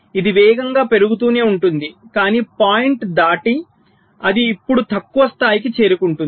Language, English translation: Telugu, so it will go on rapidly increasing, but beyond the point it will now a less level of